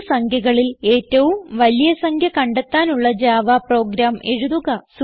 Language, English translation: Malayalam, * Write a java program to find the biggest number among the three numbers